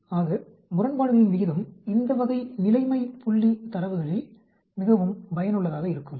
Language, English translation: Tamil, Is a odds ratio is very useful in this type of situation point data